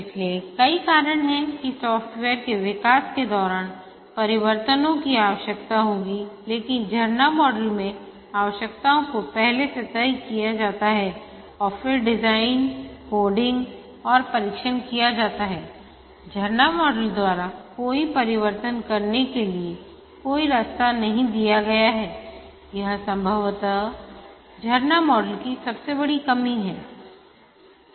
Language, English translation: Hindi, So there are many reasons why changes will be required as during the development of the software but in the waterfall model the requirements are fixed upfront and then the design coding and testing are undertaken and there is no way provided by the waterfall model to make any changes this is possibly the biggest shortcoming of the waterfall model